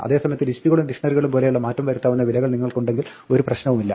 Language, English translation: Malayalam, On the other hand, if you have mutable values like lists and dictionaries there is no problem